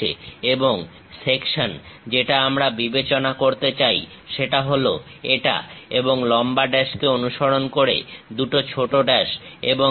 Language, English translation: Bengali, And the section we would like to really consider is this one, and long dash followed by two short dashes and so on